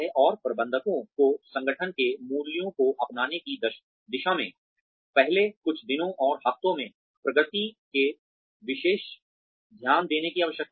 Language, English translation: Hindi, And, managers need to take special note of the progress, new employees are making, in the first few days and weeks, towards adopting the values of the organization